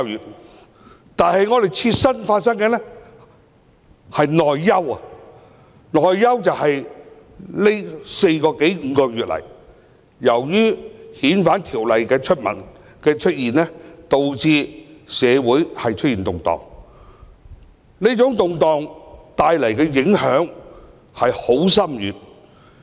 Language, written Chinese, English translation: Cantonese, 我們的切身問題是內憂，這四個多五個月以來，由於政府提出修訂《逃犯條例》，導致社會出現動盪，帶來了深遠的影響。, Our immediate concerns are the domestic troubles . Over the past four to five months the Governments proposed amendment to the Fugitive Offenders Ordinance has caused social turmoil bringing profound impacts